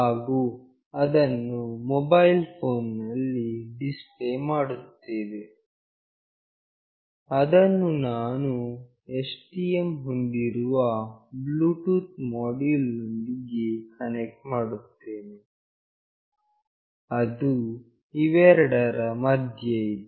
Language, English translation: Kannada, And that will be displayed in a mobile phone, which I will be connecting through the Bluetooth module of with STM that is established between these two